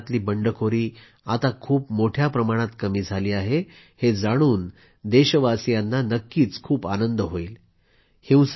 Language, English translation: Marathi, Countrymen will be thrilled to know that insurgency in the NorthEast has considerably reduced